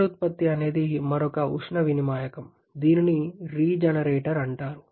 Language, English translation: Telugu, Regeneration plus another heat exchanger, which is called the regenerator